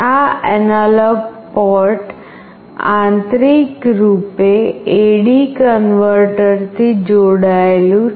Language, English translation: Gujarati, This analog port internally is connected to an AD converter